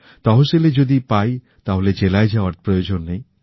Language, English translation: Bengali, If it is found in Tehsil, then there is no need to go to the district